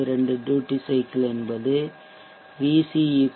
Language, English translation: Tamil, 72 duty cycle would mean VC of 0